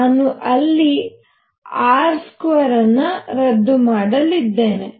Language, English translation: Kannada, I am going to cancel this r square